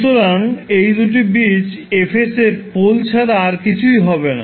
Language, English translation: Bengali, So those two roots will be nothing but the poles of F s